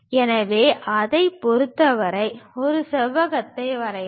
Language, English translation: Tamil, In that way construct this rectangle